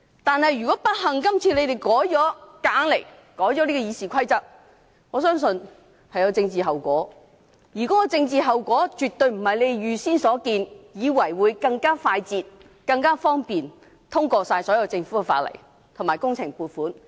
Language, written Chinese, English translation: Cantonese, 但是，如果今次建制派硬來，不幸地成功修改了《議事規則》，我相信將有政治後果，而絕非他們預計般，以為立法會將更快捷方便地通過所有政府的法案及工程撥款申請。, However if the pro - establishment camp succeeds in forcing through the amendments to RoP this time I believe there will be political consequences in that all Government bills and public works funding applications will not be passed as quickly and easily as they expected